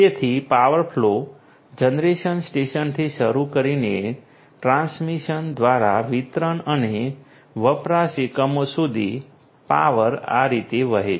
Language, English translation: Gujarati, So, power flow is there so, starting from the generation station through the transmission to the distribution and consumption units the power flows like this